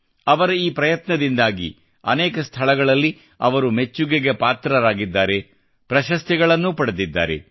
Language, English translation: Kannada, He has also received accolades at many places for his efforts, and has also received awards